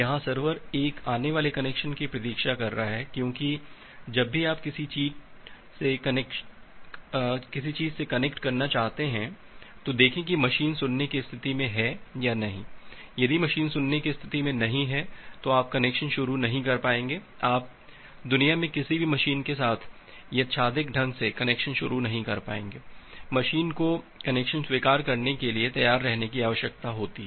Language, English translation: Hindi, The server here it is waiting for an incoming connection because, see whenever you want to connect to something if the machine is not in the listen state, you will not be able to initiate a connection, you will not be able to randomly initiate a connection with any of the machine in the world, the machine need to be ready to accept the connection